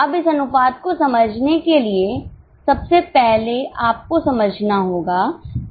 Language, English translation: Hindi, Now, to understand this ratio, first of all you have to understand what is contribution